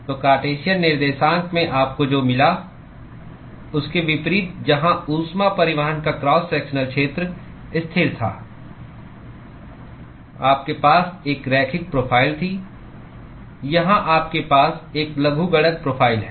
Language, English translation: Hindi, So, unlike what you got in Cartesian coordinates where the cross sectional area of heat transport was constant you had a linear profile, here you have a logarithmic profile